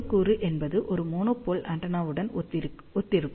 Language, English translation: Tamil, One component will correspond to one monopole antenna